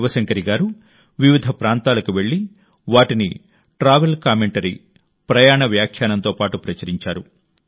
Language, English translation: Telugu, Shiv Shankari Ji travelled to different places and published the accounts along with travel commentaries